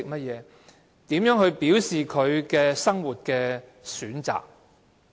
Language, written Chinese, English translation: Cantonese, 如何表示生活上的選擇？, How did he express his choices in daily life?